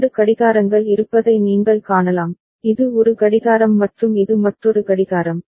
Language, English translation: Tamil, And you can see there are 2 clocks, this is one clock and this is another clock